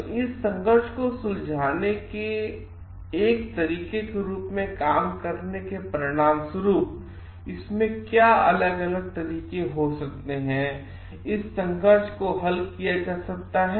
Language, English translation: Hindi, So, as result of doing that as a way of solving this conflicts, what could be the ways in which this conflict can be solved